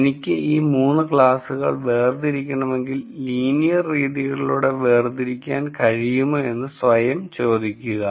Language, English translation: Malayalam, Now if I want to separate these 3 classes and then ask myself if I can separate this to through linear methods